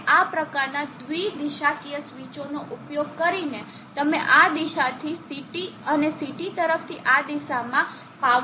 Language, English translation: Gujarati, And by using these kinds of bi directional switches you will be able to make power flow from this direction to CT and to this direction